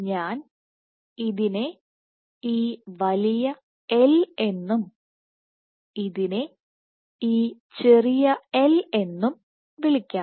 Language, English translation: Malayalam, So, in the, let me call this big “L” and call this small “l”